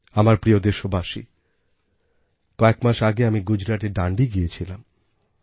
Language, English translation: Bengali, My dear countrymen, a few months ago, I was in Dandi